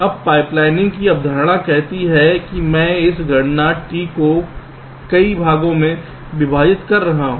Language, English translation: Hindi, now the concept of pipe lining says that i am splitting this computation t into several parts